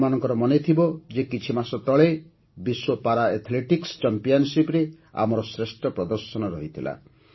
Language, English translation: Odia, You might remember… a few months ago, we displayed our best performance in the World Para Athletics Championship